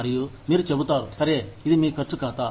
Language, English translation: Telugu, And, you will say, okay, this is your spending account